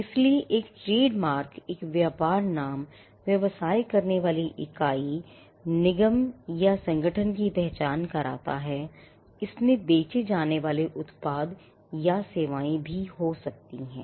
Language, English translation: Hindi, So, a trademark can be something that identifies a business name, the entity that does the business a corporation or a organization, it could also mean a the product that is sold or the services that are offered